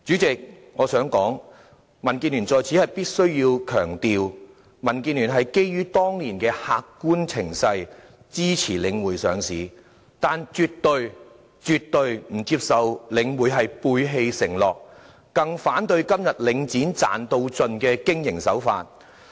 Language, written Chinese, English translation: Cantonese, 代理主席，我在此必須強調，民建聯是基於當年的客觀情勢，支持領匯上市，但絕對不接受領匯背棄承諾，更反對今天領展賺到盡的經營手法。, Deputy President I must stress here that DAB lent its support to the listing of The Link REIT on basis of the actual circumstances back then . But we have never approved of it going back on its promises and oppose its business practice of profit maximization